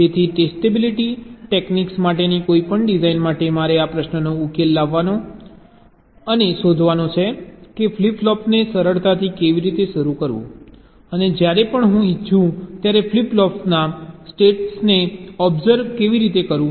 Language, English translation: Gujarati, so for any design for testability technique i have to address and find the solution to this question: how to initialize the flip flop rather easily and how to observe the states of the flip flops whenever i want to